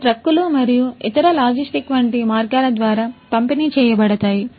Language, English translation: Telugu, So, these are going to be delivered through trucks and other logistic means etc